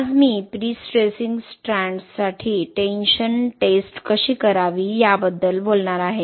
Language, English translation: Marathi, Today I am going to talk, explain about how to do tension test for prestressing strands